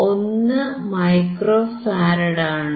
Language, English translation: Malayalam, 1 micro farad